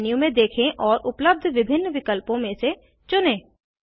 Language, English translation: Hindi, Scroll down the menu and choose from the various options provided